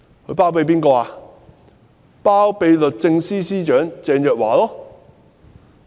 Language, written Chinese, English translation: Cantonese, 就是律政司司長鄭若驊。, Secretary for Justice Teresa CHENG